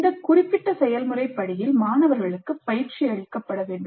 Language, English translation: Tamil, The students must be trained in this particular process step